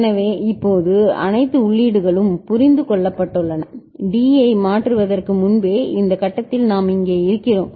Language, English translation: Tamil, So, now, all the inputs have been understood and we are over here at this stage right before changing the D